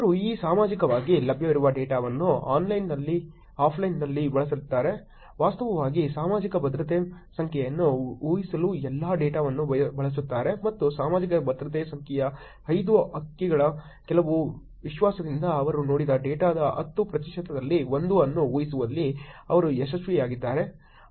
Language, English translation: Kannada, They use this publicly available data online, offline, all the data to predict actually Social Security Number and they were successful in predicting 1 in 10 percent of the data that they saw with some confidence of the five digits of Social Security Number